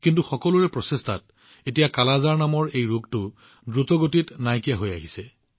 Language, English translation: Assamese, But with everyone's efforts, this disease named 'Kala Azar' is now getting eradicated rapidly